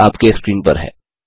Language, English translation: Hindi, The solution is on your screen